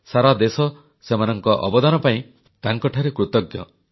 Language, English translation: Odia, The country is indeed grateful for their contribution